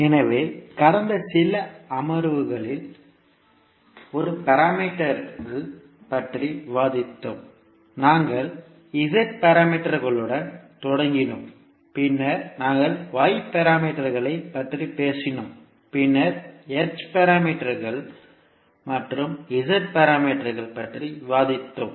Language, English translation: Tamil, Namaskar, so in last few sessions we discussed about a set of parameters, we started with Z parameters, then we spoke about Y parameters and then we discussed H parameters as well as G parameters